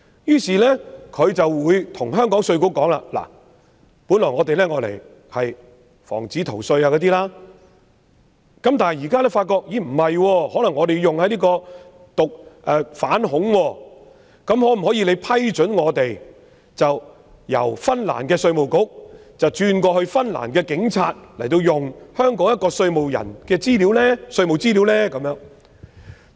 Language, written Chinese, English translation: Cantonese, 因此，如果香港稅務局知道原本為防止逃稅而索取的資料可能用於反恐調查時，香港稅務局未必會批准那些資料由芬蘭的稅務局轉移至芬蘭的警署，任讓他們使用香港人的稅務資料。, Hence if IRD of Hong Kong is aware that the information originally provided for the prevention of tax evasion may be used for the investigation of terrorist activities it may not approve the transfer of such information from the Finnish tax authority to its police and leave the tax information of Hong Kong people at their disposal